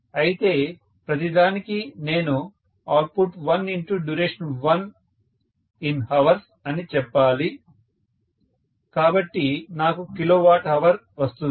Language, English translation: Telugu, But, for everything I should say output 1 multiplied by duration 1 in hours, so I will get kilowatt hour